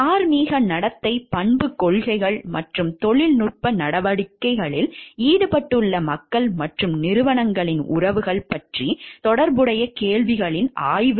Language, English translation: Tamil, The study of related questions about moral conduct, character policies and relationships of people and corporations involved in technological activity